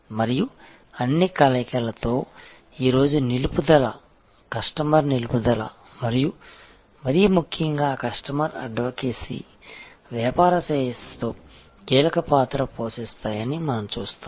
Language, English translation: Telugu, And we will see that in all combinations, retention today, customer retention and more importantly customer advocacy plays a crucial part in the well being of the business